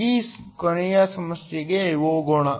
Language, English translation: Kannada, Let us now go to the last problem